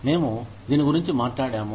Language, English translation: Telugu, We have talked about this